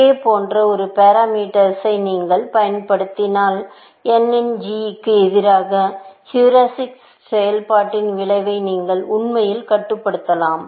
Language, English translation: Tamil, If you use a parameter like k, you can actually control the effect of heuristic function versus g of n